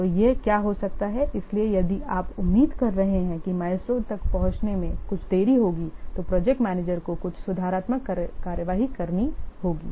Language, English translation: Hindi, So, if you are expecting that there will be a some delay in reaching the milestone, then the project manager has to take some remedial action